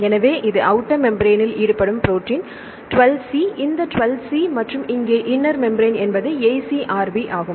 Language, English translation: Tamil, So, this is the protein involved in outer membrane is 12 c this 12 c and here the inner membrane this is the AcrB